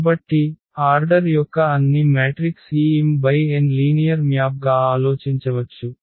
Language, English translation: Telugu, So, all matrices of order this m cross n we can think as linear map